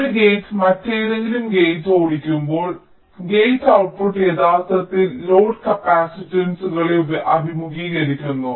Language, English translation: Malayalam, so when a gate is driving some other gate, the gate output actually faces load capacitances